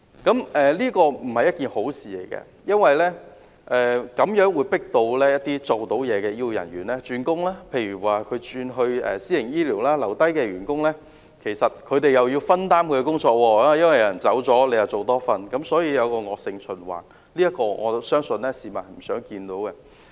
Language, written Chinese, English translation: Cantonese, 這並非好事，因為這會迫使一些有表現的醫護人員轉工，例如轉投私營醫療系統，而留下來的員工因為有同事離職，便要分擔他原來的工作，形成惡性循環，我相信這情況是市民不願看到的。, This is not a good thing because it will drive some quality health care personnel to switch jobs such as switching to the private medical system . The remaining staff will have to share the duties of their outgoing colleagues resulting in a vicious circle . I believe this is not what the public want to see